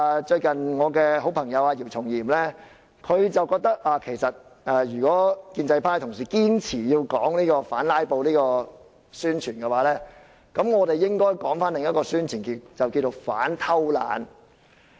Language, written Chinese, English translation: Cantonese, 最近我的好朋友姚松炎覺得如果建制派同事堅持要以反"拉布"來進行宣傳，我們應該進行另一種宣傳，那便是反偷懶。, Recently my best friend YIU Chung - yim expressed the view that if colleagues from the pro - establishment camp insisted on using anti - filibuster as their publicity strategy we should launch the alternative publicity on anti - laziness